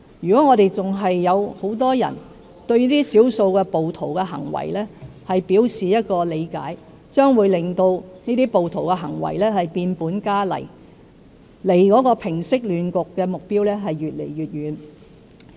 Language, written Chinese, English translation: Cantonese, 如果社會上仍然有很多人對這些少數暴徒的行為表示理解，將會令這些暴徒的行為變本加厲，令平息亂局的目標離我們越來越遠。, If many in our society still express understanding towards the acts of the minority rioters it will make these rioters commit even worse acts and it will take us further away from reaching our goal of resolving the chaos